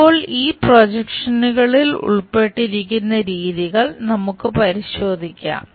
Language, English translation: Malayalam, Now, we will look at methods involved on these projections